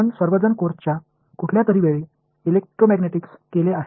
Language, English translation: Marathi, All of you have done Electromagnetics at some point in the course